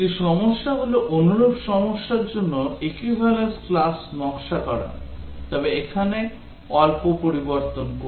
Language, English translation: Bengali, A problem is to design equivalence class for a similar problem but with the small change here